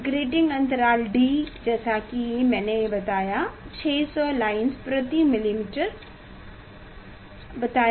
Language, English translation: Hindi, grating element d; as I told this 600 lines per millimeter